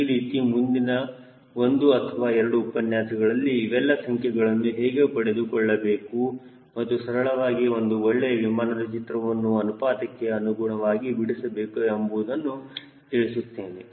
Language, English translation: Kannada, so maybe another one or two lecture i will take on how to get into all this numbers and when, at least draw a good sketch of an aeroplane which looks proportionate